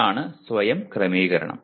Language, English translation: Malayalam, That is what self regulation is